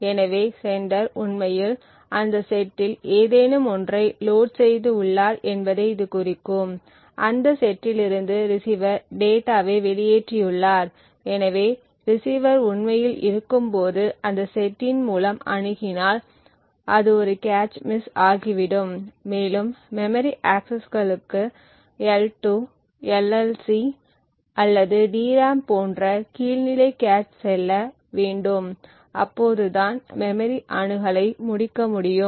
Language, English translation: Tamil, Now a cache miss would imply that the sender has actually sent something through that particular port, so it would mean that the sender has actually loaded something in that corresponding set and therefore has evicted the receiver data from that set and therefore when the receiver is actually accessing through that set it would result in a cache miss and memory access would require to go to a lower level cache like the L2 LLC or the DRAM to complete the memory access